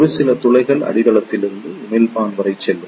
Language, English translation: Tamil, A few holes will also pass from the base to the emitter